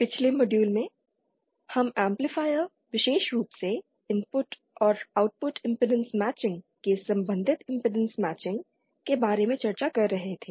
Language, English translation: Hindi, In the previous modules we were discussing about impedance matching as related to an amplifier especially the input and Output impedance matching